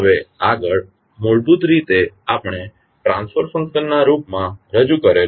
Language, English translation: Gujarati, Now, next is to basically we have represented in the form of transfer function